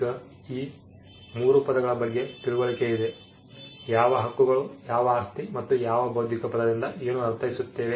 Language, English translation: Kannada, Now, that we have understandings of these 3 terms, what rights are, what property is, and what we mean by the term intellectual